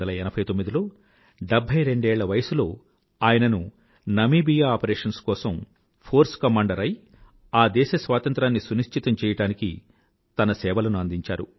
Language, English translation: Telugu, In 1989, at the age of 72, he was appointed the Force Commander for an operation in Namibia and he gave his services to ensure the Independence of that country